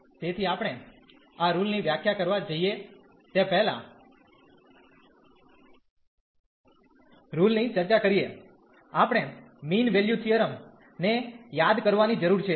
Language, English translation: Gujarati, So, before we go to define this rule discuss this rule, we need to recall the mean value theorems